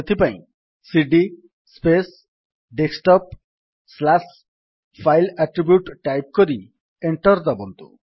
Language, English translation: Odia, For that, cd space Desktop slash file attribute and press Enter